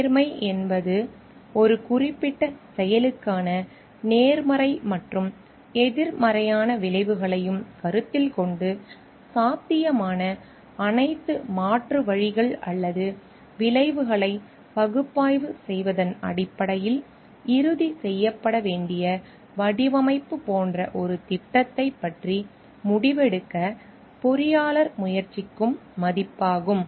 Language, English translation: Tamil, Fairness is a value where the engineer tries to make a decision about a project about like the design to be finalized based on analyzing all different possible alternatives or outcomes which are there taking into consideration also the positive and negative outcomes for a particular action